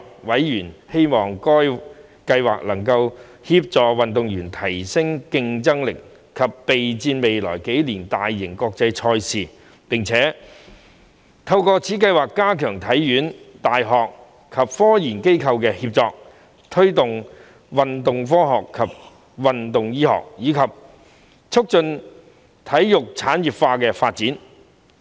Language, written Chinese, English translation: Cantonese, 委員希望該計劃能協助運動員提升競爭力及備戰未來幾年的大型國際賽事，並希望透過該計劃加強香港體育學院、大學及科研機構的協作，推動運動科學及運動醫學，以及促進體育產業化的發展。, They hoped that the scheme would help Hong Kong athletes to enhance their competitiveness and better prepare for major international sports events in the coming few years . They also hoped that through the scheme the collaboration between HKSI universities and scientific research institutions would be strengthened to promote sports science and sports medicine as well as facilitate the industrialization of sports